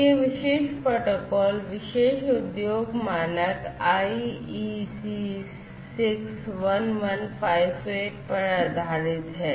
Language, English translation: Hindi, So, this particular protocol is based on this; it is based on this particular industry standard, the IEC 61158